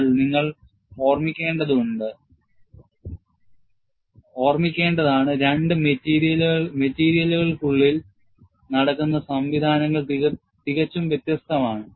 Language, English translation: Malayalam, But you have to keep in mind, the mechanisms going on inside the two materials are markedly different, but outwardly, there is no difference